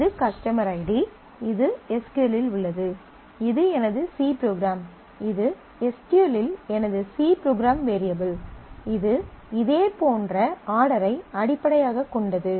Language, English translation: Tamil, So, this is cust id; this is in SQL; this is my C program, and this is my C program variable in SQL which corresponds to this its similarly order based